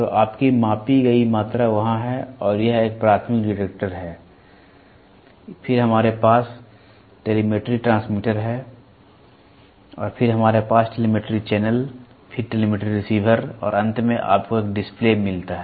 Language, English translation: Hindi, So, your measured quantity is there and this is a primary detector, then we have a telemetry transmitter and then we have a telemetry channel, then telemetry receiver and finally, you get a display